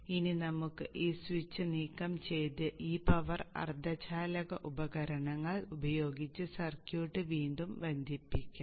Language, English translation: Malayalam, Now let us remove the switch and reconnect the circuit using these power semiconductor devices